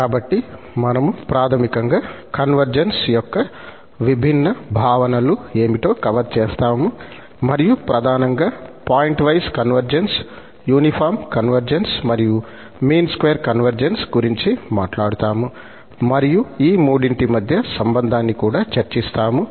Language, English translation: Telugu, So, we will cover basically what are the different notions of convergence and mainly, we will be talking about the pointwise conversions, uniform convergence and convergence in the sense of mean square and the connection between all the three will be also demonstrated